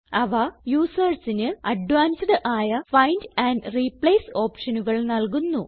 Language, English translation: Malayalam, They provide users with various types of advanced find and replace options